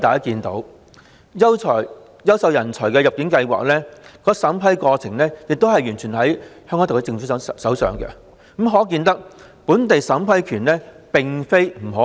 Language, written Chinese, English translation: Cantonese, 此外，優秀人才入境計劃的審批權力完全在香港特區政府的手上，可見本地審批權並非不可行。, Besides since the vetting and approval power pertaining to the Quality Migrant Admission Scheme is entirely in the hands of the Hong Kong SAR Government it is not impossible for Hong Kong to have vetting and approval power